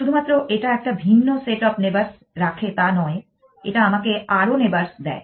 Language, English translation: Bengali, It gives me a different set of neighbors not only he keeps a different set of neighbors it gives me more neighbors